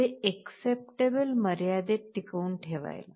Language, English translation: Marathi, To maintain it within acceptable limits